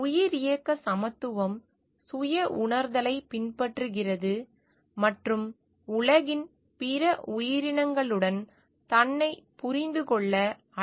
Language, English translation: Tamil, Biocentric equality follows self realisation and calls for understanding oneself a one with other creatures of the world